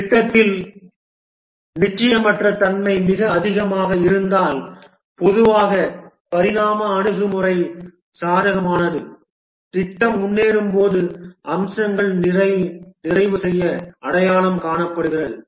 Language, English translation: Tamil, If the uncertainty in the project is very high, then typically the evolutionary approach is favored, the features are identified to be completed as the project progresses